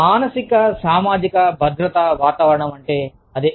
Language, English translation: Telugu, Psychosocial safety climate